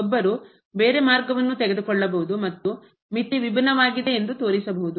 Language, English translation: Kannada, One can also take some other path and can show that the limit is different